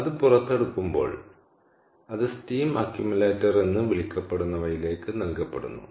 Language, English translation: Malayalam, ok, so as it is extracted out, it is fed into what is called a steam accumulator